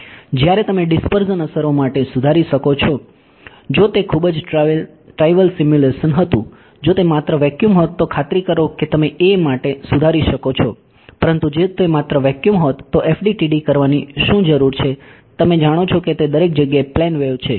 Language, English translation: Gujarati, While you could correct for dispersion effects if it were a very trivial simulation now if they were only vacuum sure you can correct for a, but if it were only vacuum what is the need to do FDTD you know it is a plane wave everywhere